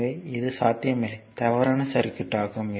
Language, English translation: Tamil, So, it is not possible right so, this is an invalid circuit